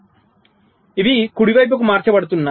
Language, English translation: Telugu, ok, so these are getting shifted right